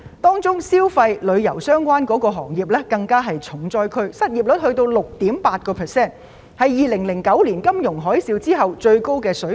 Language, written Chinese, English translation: Cantonese, 當中消費及旅遊相關行業更是重災區，相關失業率高達 6.8%， 是2009年金融海嘯後的最高水平。, The consumption and tourism - related industries are hardest hit and the related unemployment rate soared to 6.8 % the highest after the 2009 financial tsunami